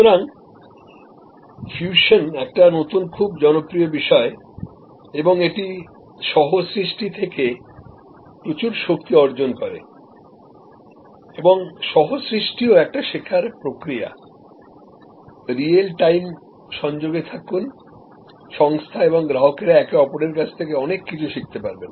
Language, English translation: Bengali, So, fusion is a new very popular world and it derives lot of strength from co creation and co creation is also a learning process, be in real time connection, organizations and customers can learn from each other